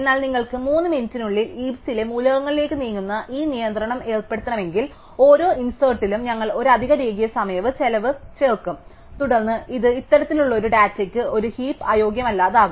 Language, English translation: Malayalam, But, this if you want to impose this constraint that no two elements in the heap of within 3 minutes of each other, then we would add an extra linear time cost to every insert and this would then make a heap unviable for this kind of data